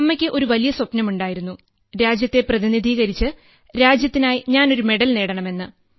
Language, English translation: Malayalam, Hence my mother had a big dream…wanted me to represent the country and then win a medal for the country